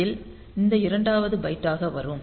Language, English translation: Tamil, So, that will come to this second byte